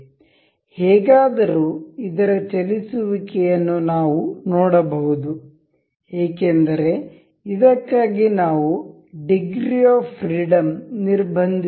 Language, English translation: Kannada, However, this we can see this moving because we have not constraint other degrees of freedom for this